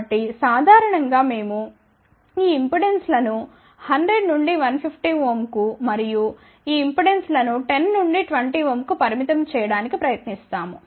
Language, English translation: Telugu, So, generally we try to limit these impedances to about 100 to 150 ohm and these impedances to 10 to 20 ohm